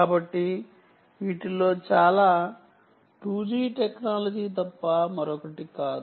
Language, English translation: Telugu, so lot of this is nothing but the two g technology and so on